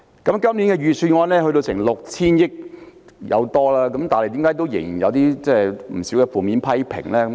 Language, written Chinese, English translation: Cantonese, 今年財政預算案開支超過 6,000 億元，但為何仍有不少負面批評呢？, Why does this years Budget attract widespread criticisms after proposing a spending of more than 600 billion? . On this issue I have to speak for the middle class